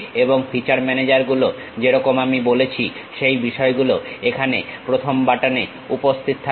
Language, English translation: Bengali, And features managers like I said, those things will be available at the first button here